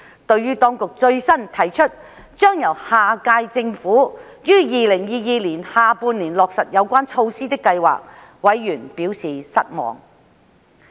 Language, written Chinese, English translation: Cantonese, 對於當局最新提出將由下屆政府於2022年下半年落實有關措施的計劃，委員表示失望。, Members expressed disappointment about the latest proposal to leave the initiative concerned to the next term of the Government for implementation in the second half of 2022